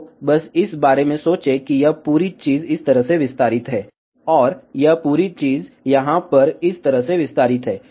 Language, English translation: Hindi, So, just think about that this whole thing is extended like this, and this whole thing is extended like this over here